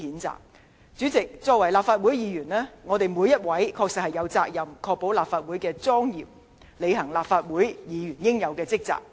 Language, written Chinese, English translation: Cantonese, 主席，身為立法會議員，我們在座各位確實有責任維護立法會的莊嚴，並履行立法會議員的職責。, President as a Legislative Council Member every one of us present here is honestly duty - bound to uphold Legislative Councils solemnity and discharge his duties as a Legislative Council Member